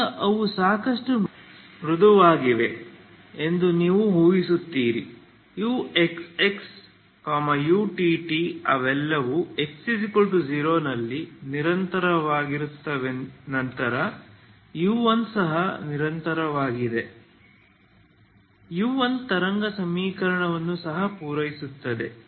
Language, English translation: Kannada, Now you assume that they are smooth enough U X X, U T T they are all continuous at X equal to zero then U1 is also continuous U1 is also satisfy wave equation